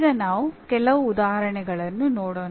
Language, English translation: Kannada, Now let us look at some examples